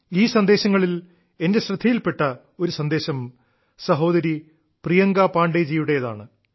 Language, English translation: Malayalam, One amongst these messages caught my attention this is from sister Priyanka Pandey ji